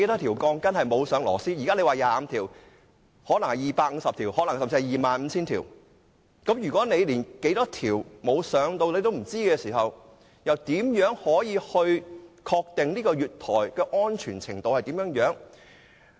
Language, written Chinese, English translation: Cantonese, 現在說是25條，但可能是250條，甚至是 25,000 條，如果不知道有多少條鋼筋沒有扭進螺絲帽，又如何可以確定月台的安全程度？, At present some say the number is 25 but it can be 250 or even 25 000 . If we do not know how many steel bars have not been screwed into the couplets how can we ascertain the degree of safety of the platforms?